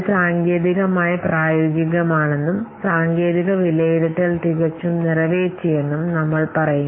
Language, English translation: Malayalam, Then we say that it is technically feasible and the technical assessment has been perfectly made